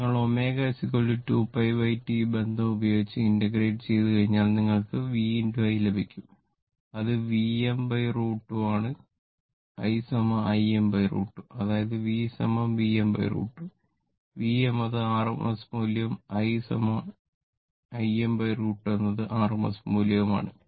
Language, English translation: Malayalam, This relationship you will get V into I and it is V m by root 2 that is V and I is equal to I m by root 2; that means, my V is equal to V m by root 2 V is the rms value and I is equal to my I m by root 2 that is the rms value